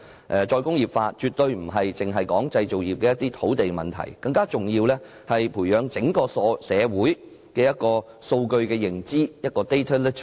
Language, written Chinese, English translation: Cantonese, "再工業化"絕不只是關乎製造業的土地問題，更重要的是培養整個社會的數據認知。, Re - industrialization is not just about land for the manufacturing industries; more importantly it is also about cultivating the data literacy of the community as a whole